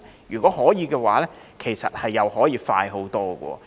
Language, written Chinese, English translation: Cantonese, 如果可以，其實又可以快很多。, If we can do so things will proceed much faster indeed